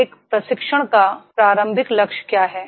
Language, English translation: Hindi, ) So what is primary goal of a training